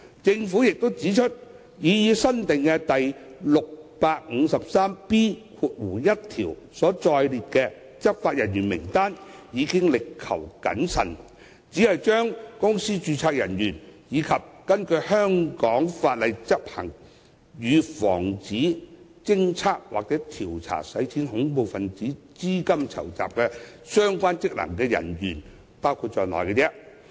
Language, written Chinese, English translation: Cantonese, 政府也指出，擬議新訂的第 653B1 條所載列的執法人員名單已力求謹慎，只把公司註冊處人員，以及根據香港法例執行與防止、偵測或調查洗錢及恐怖分子資金籌集相關職能人員包括在內。, The Government has pointed out that the current list stipulated by the proposed new section 653B1 has been carefully crafted to include only officers of the Companies Registry and those officers who perform functions under the law of Hong Kong that are related to the prevention detection or investigation of money laundering or terrorist financing